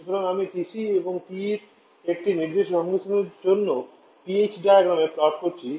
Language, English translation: Bengali, So, I plotted the PH diagram for a particular combination of TC and TE